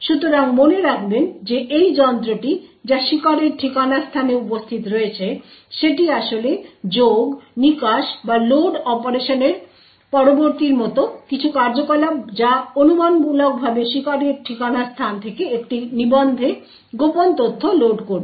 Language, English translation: Bengali, So, recall that this gadget which is present in the victim's address space is actually having some operations like add, exit or something followed by a load operation which would speculatively load secret data from the victim's address space into a register